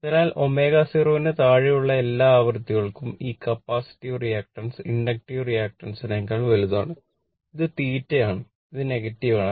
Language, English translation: Malayalam, So, all frequencies below omega 0 that capacitive reactance is greater than the inductive reactance right and this is negative theta therefore, theta is negative